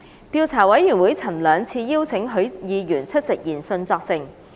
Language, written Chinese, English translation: Cantonese, 調查委員會曾兩次邀請許議員出席研訊作證。, The Investigation Committee invited Mr HUI twice to attend its hearing to give evidence